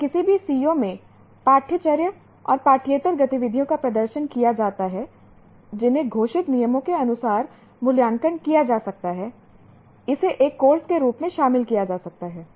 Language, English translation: Hindi, And also performance in any co curricular and extra curricular activities which are evaluated as per declared rubrics can also be treated as a course